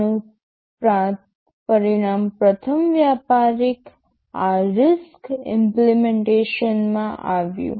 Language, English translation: Gujarati, TSo, this resulted in the first commercial RISC implementation